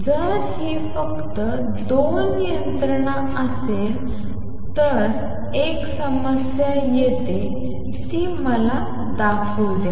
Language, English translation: Marathi, If these were the only 2 mechanisms, there comes a problem let me show that